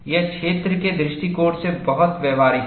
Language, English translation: Hindi, It is very practical, from field point of view